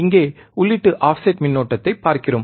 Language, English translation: Tamil, Here, we are looking at input offset current